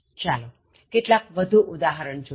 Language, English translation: Gujarati, Let us look at some more examples